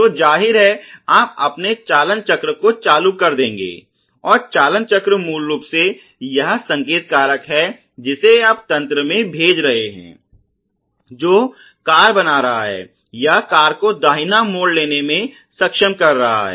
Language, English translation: Hindi, So obviously, you will turn this steering wheel, and the steering wheel is basically this signal factor which you are sending into the system, which is creating the car or which is enabling the car to take a right turns